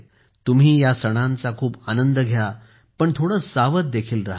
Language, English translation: Marathi, Enjoy these festivals a lot, but be a little cautious too